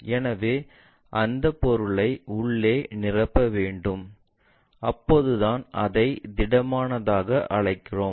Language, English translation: Tamil, So, the material has to be filled inside that then only we will call it as solid